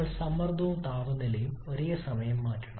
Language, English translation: Malayalam, We have to change both pressure and temperature simultaneously